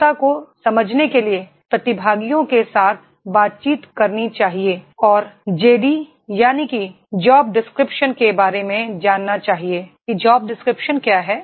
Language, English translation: Hindi, To understand the ability one should interact with the participants and to know about the JD that is Job Description, what is the Job description